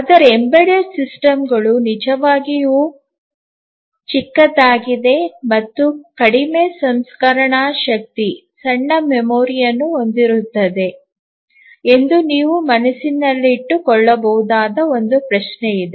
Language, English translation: Kannada, But then one question that you have might in mind is that embedded systems are really small and they have very little processing power, small memory